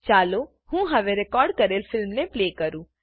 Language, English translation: Gujarati, Let me now play the recorded movie